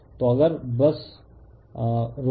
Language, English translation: Hindi, So, if you just hold on